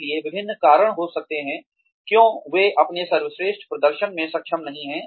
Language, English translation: Hindi, So, there could be various reasons, why they are not able to perform to their best